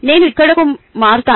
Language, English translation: Telugu, i will switch to here